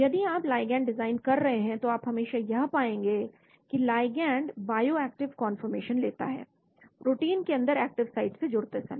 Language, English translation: Hindi, If you are designing ligands you always find that the ligand takes bioactive conformation while binding to the active site inside the protein